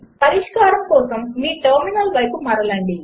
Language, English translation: Telugu, Switch to your terminal for solution